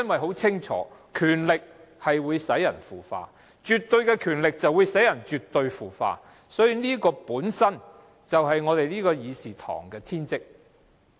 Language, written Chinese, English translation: Cantonese, 很清楚，權力會令人腐化，而絕對的權力會使人絕對的腐化，所以議會的天職就是要在議事堂內議事。, Clearly power corrupts and absolute power corrupts absolutely hence the function of the Council is to hold discussions in the Chamber